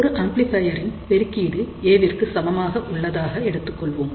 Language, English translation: Tamil, So, we have an amplifier with a gain equal to A